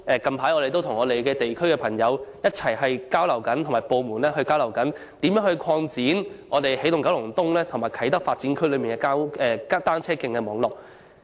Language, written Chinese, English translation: Cantonese, 近期，我們正與地區的朋友和相關部門交流，研究如何擴展起動九龍東及啟德發展區的單車徑網絡。, Recently we have had discussions with people in the districts and the departments concerned to examine the expansion of the cycle track network in Energising Kowloon East and Kai Tak Development